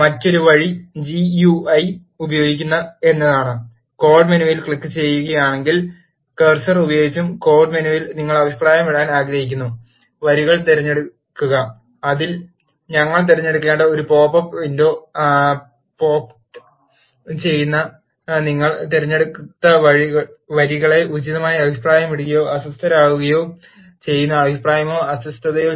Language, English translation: Malayalam, the other way is to use the GUI, select the lines which you want to comment by using cursor and in the code menu if you click on the code menu a pop up window pops out in which we need to select comment or uncomment lines which appropriately comments or uncomment the lines which you have selected